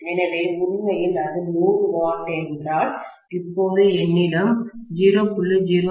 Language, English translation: Tamil, So, originally if it was 100 watts, now I will have only 0